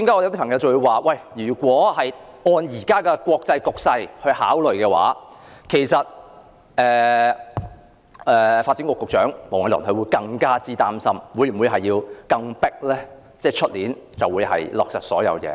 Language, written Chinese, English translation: Cantonese, 有人指出，如果按照現時的國際局勢來看，發展局局長黃偉綸可能會更擔心是否有需要盡快在明年落實所有事情。, It has been pointed out that in the light of the current international situation Secretary for Development Michael WONG might be more concerned if there is a need to expeditiously finalize all the initiatives next year